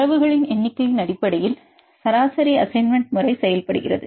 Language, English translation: Tamil, The average assignment method works based on number of data